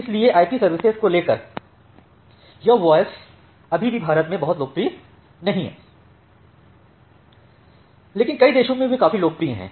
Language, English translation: Hindi, So, this voice over IP services is still not very popular in India, but in many countries they are very popular